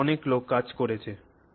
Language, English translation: Bengali, There are so many people working on it